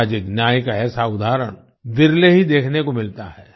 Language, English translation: Hindi, Such an example of social justice is rarely seen